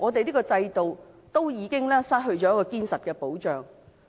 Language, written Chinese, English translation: Cantonese, 這個制度已經失去堅實的保障。, This system has lost its strong protection